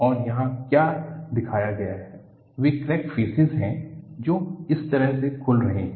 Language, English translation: Hindi, And, what is shown here is the crack faces open up like this